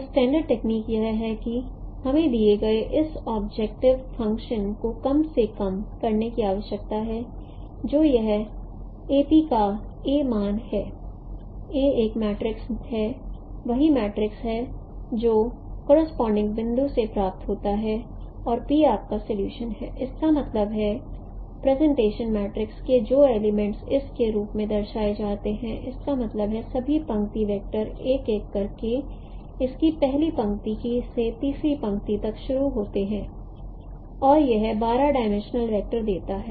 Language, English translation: Hindi, So the standard technique is that we need to minimize this objective function given the it is a norm of A P, A is this corresponding matrix, A is the same matrix which is derived from the point correspondences and P is your solution, that means the elements of the projection matrix which is represented in the form of this that means all row vectors are concatenated one by one from the starting from its first row to third row and that gives a 12 dimensional vector so we have to minimize this norm and since no this solution is in the projective space and if I take a scaled vector also, it is also the solution